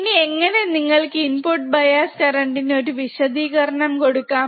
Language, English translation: Malayalam, Now, thus, how you can define input bias current